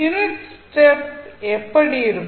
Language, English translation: Tamil, So, how the unit step function will look like